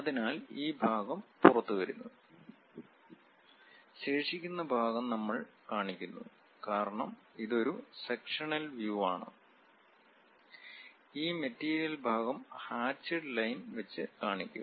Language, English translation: Malayalam, So, this part comes out and the remaining part we represent; because it is a sectional view, we always have this material portion represented by hatched lines